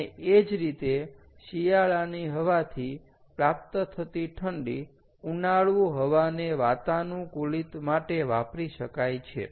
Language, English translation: Gujarati, and similarly, cold obtained from winter air can be provided for summer air conditioning